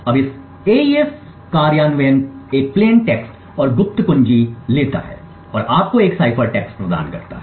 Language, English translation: Hindi, Now this AES implementation takes a plain text and the secret key and gives you a cipher text